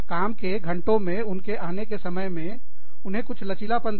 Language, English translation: Hindi, Give them, some flexibility, with their coming in to work hours